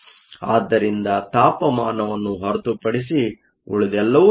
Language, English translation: Kannada, So, everything else is known except for the temperature